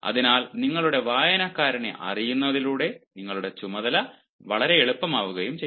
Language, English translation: Malayalam, so by knowing your reader, you actually your task becomes easier